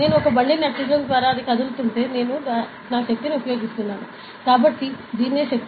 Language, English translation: Telugu, So, if I am moving a cart by pushing it, I am applying a force right